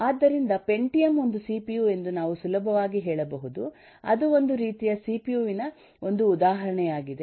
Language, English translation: Kannada, so we can easily say that the pentium is a cpu, that it is an instance of, it’s a kind of the cpu